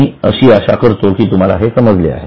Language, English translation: Marathi, So, I hope you have got this